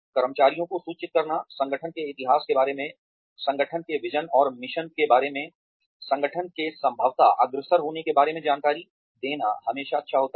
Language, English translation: Hindi, It is always nice to inform employees, about the history of an organization, about the vision and mission of the organization, and about where the organization might be headed